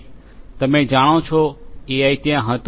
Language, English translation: Gujarati, You know, AI has been there